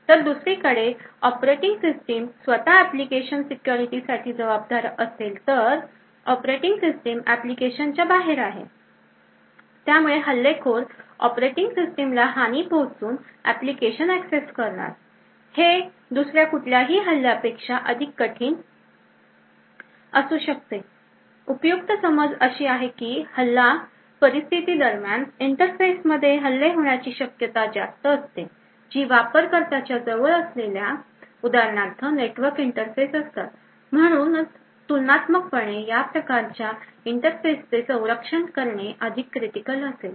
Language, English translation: Marathi, On the other hand if the operating system itself is responsible for the application security then this operating system is outside the application, thus the attacker would need to compromise the operating system to gain access to the application and this could be several times more harder another very useful assumption is that during an attack scenario, it is more likely that attacks occur in interface which are closer to the user for example the network interfaces, so therefore comparatively it would be more critical to protect these types of interfaces